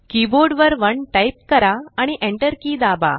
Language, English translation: Marathi, Type 1 on your key board and hit the enter key